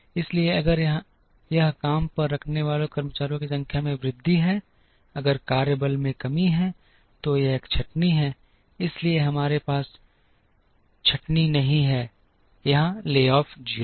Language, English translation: Hindi, So, if there is an increase in workforce it is hiring, if there is a decrease in workforce it is a layoff, so we do not have layoff here layoff is 0